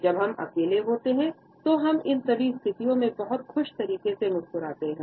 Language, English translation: Hindi, When we are alone we would smile in all these situations in a very happy manner